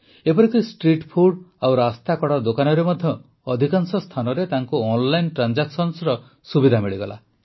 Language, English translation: Odia, Even at most of the street food and roadside vendors they got the facility of online transaction